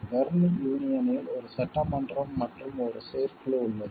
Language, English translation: Tamil, The Berne union has an assembly and an executive committee